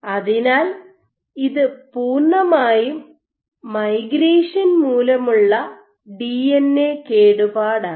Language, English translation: Malayalam, So, this is completely migration induced DNA damage